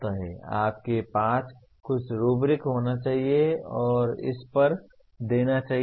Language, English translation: Hindi, You must have some rubrics and give marks to that